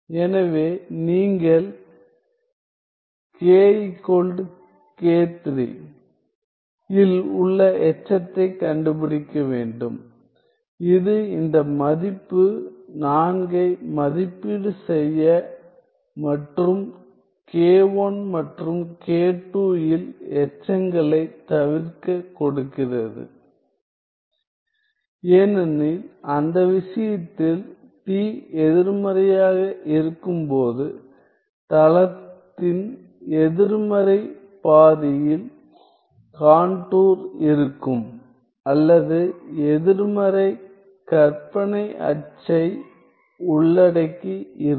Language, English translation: Tamil, So, you have to find the residue in this case you have to find the residue at k equals k 3 which is given this value to evaluate the integral 4 and avoid residue at k 1 and k 2 because in that case the contour would be on the negative half of the plane or the covering the negative imaginary axis when t is negative